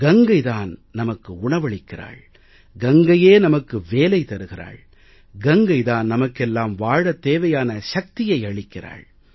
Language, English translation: Tamil, We get our daily bread from Ganga, we get our earnings from Ganga, and we get a new source of energy from Ganga to live our lives